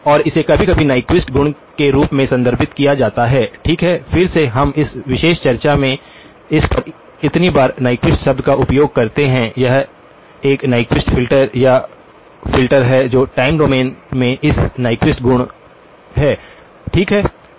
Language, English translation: Hindi, And that is sometimes referred to as the Nyquist property, okay again we use the word Nyquist so many times on this in this particular discussion, this is a Nyquist filter or filter that has this Nyquist property in the time domain, okay